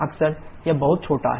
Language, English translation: Hindi, Quite often it is extremely small